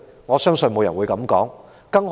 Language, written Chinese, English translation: Cantonese, 我相信沒有人會這樣說。, I believe no one will say so